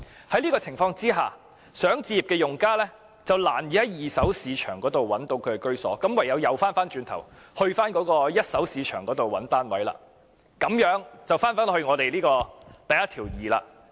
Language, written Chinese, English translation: Cantonese, 在這種情況下，希望置業的用家便難以在二手市場覓得居所，唯有返回一手市場尋覓單位，這樣就回到第12條的問題。, Under such circumstances it is difficult for users aspiring to home ownership to find a dwelling place in the second - hand market . They cannot but return to the first - hand market to search for units . As such we are back to the problem of clause 12